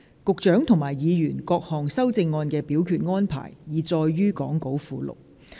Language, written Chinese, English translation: Cantonese, 局長及議員各項修正案的表決安排，已載於講稿附錄。, The voting arrangement for the Secretarys and Members amendments is set out in the Appendix to the Script